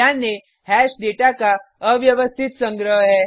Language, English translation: Hindi, Note: Hash is an unordered collection of data